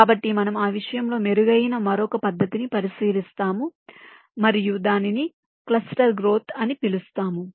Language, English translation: Telugu, ok, so we look at another method which is better in that respect, and we call it cluster growth